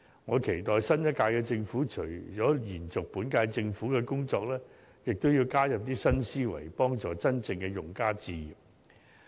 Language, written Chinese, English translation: Cantonese, 我期待新一屆政府，除了延續本屆政府的工作之外，也會加入新思維，協助真正的用家置業。, I hope that the Government of the next term while continuing with the work of its predecessor can embrace new thinking in assisting genuine homebuyers to purchase properties